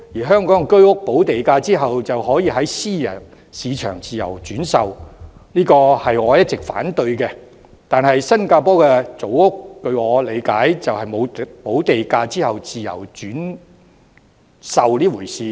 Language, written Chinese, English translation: Cantonese, 香港居屋補地價後便可在私人市場自由轉售，這是我一直反對的；但據我理解，新加坡的組屋並沒有補地價後自由轉售這回事。, Owners of HOS flats in Hong Kong are at liberty to resell their flats in the private market after paying the premium . I have always opposed this . As far as my understanding goes such a measure of allowing HDB flats to be resold after paying premium is not in place in Singapore